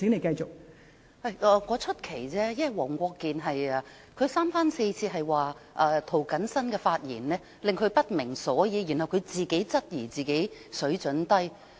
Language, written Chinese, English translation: Cantonese, 我只是感到奇怪，因為黃國健議員三番四次說涂謹申議員的發言令他不明所以，然後他自己質疑自己水準低。, I just feel strange . It is because Mr WONG Kwok - kin repeatedly said that he did not understand what Mr James TO said . And then he said that it might be due to his low standard